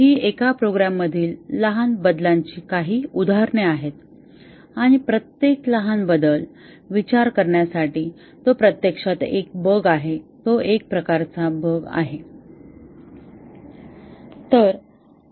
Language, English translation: Marathi, These are some examples of small changes to a program and each small change to think of it is actually a bug, a type of bug